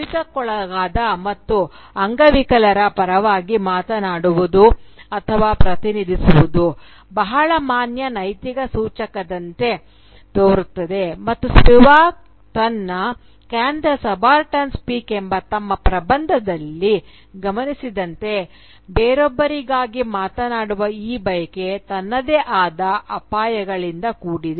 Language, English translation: Kannada, Now, on the surface, speaking for or representing the oppressed and the disempowered sounds like a very valid ethical gesture but as Spivak points out in her essay "Can the Subaltern Speak," this desire to speak for someone else is fraught with its own dangers